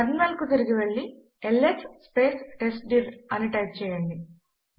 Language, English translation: Telugu, Go back to the terminal and type ls testdir